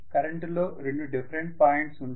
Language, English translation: Telugu, There are two different points in the current